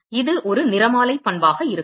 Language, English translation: Tamil, It is going to be a spectral property